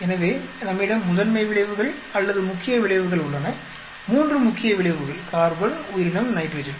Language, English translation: Tamil, So, we have the principal effects or the main effects, three main effects carbon, organism, nitrogen